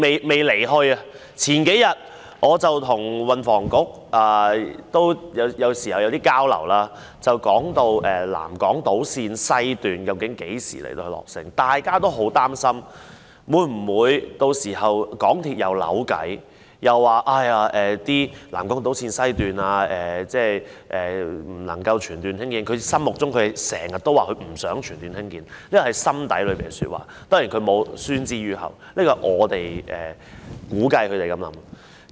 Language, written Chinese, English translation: Cantonese, 我有時候亦會與運輸及房屋局交流，數天前我們談及南港島綫西段究竟何時落成，大家都很擔心，港鐵公司屆時會否又鬧彆扭，指不能全段興建南港島綫西段——它一直不想全段興建，這是它的心底話，當然沒有宣之於口，這是我們估計港鐵公司的想法。, Sometimes I would exchange views with the Transport and Housing Bureau and a few days ago we talked about when the South Island Line West would be completed . All of us were extremely worried about whether MTRCL would bicker again at that time saying that the South Island Line West could not be constructed in full―it has all along been unwilling to construct the whole section . This is the voice from the bottom of its heart but of course it has not spoken it out and we reckon MTRCL would think in this way